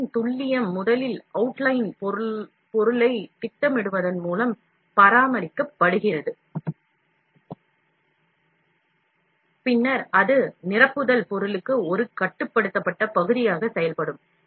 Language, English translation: Tamil, Part accuracy is maintained by plotting the outline material first, which will then act as a constrained region for the filling material